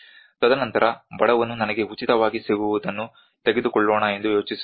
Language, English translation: Kannada, And then the poor man thinks about let me take whatever I get for free